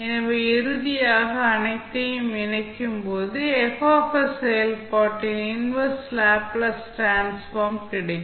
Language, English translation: Tamil, So finally, when you club all of them, you will get the inverse Laplace transform of the function F s